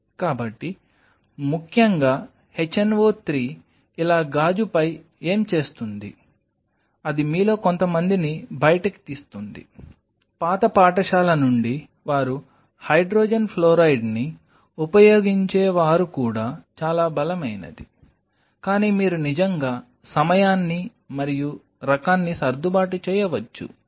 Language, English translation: Telugu, So, what essentially hno 3 does over glass like this it will etch out some of you can even there are people from old school they use hydrogen fluoride which is even much stronger, but you really can you can actually tweak the time and kind of an you know make it good enough for your purpose